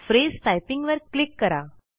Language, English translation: Marathi, Click Phrase Typing